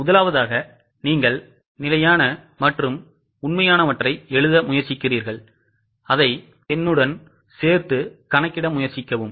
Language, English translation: Tamil, Firstly you try to write down the standard and actual and try to solve it along with me